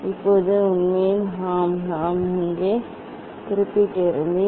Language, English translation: Tamil, And now, actually yes this I had mentioned here